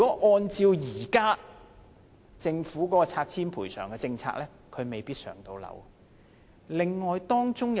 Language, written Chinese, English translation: Cantonese, 按照政府現行的拆遷賠償政策，他未必可以獲分配公屋。, Under the Governments existing policy on removal rehousing and compensation he may not be allocated a PRH flat